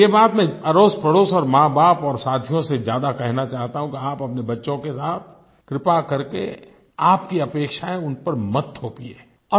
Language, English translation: Hindi, I would like to appeal to parents, friends and neighbours that please don't impose your expectations upon your children